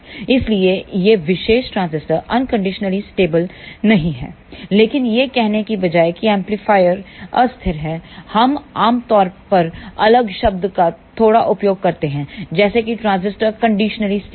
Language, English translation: Hindi, Hence, this particular transistor is not unconditionally stable, but instead of saying amplifier is unstable, we generally use a little different term we call it transistor is conditionally stable